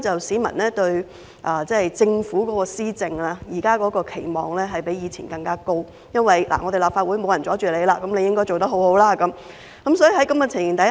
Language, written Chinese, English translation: Cantonese, 市民對政府施政的期望比以前更高，原因是立法會再沒有人妨礙政府，政府的表現應該很好。, People have higher expectation of the Government than before as there will no one in the Legislative Council to impede the Government . It should therefore perform better